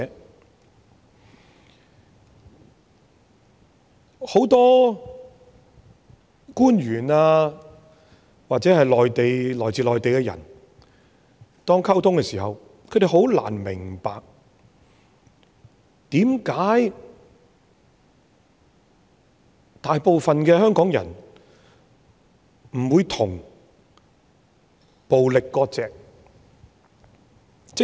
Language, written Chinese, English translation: Cantonese, 對於很多官員或來自內地的人來說，當我們與他們溝通的時候，他們很難明白為甚麼大部分香港人不與暴力割席。, To many officials or people from the Mainland and as we noticed when we communicated with them they found it very difficult to understand why most Hongkongers do not sever ties with violence